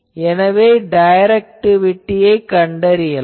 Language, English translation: Tamil, So, we can find directivity